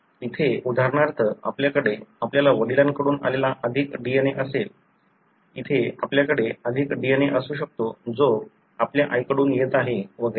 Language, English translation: Marathi, Here for example, you may have had more DNA that is coming from your father; here you may have more DNA that is coming from your mother and so on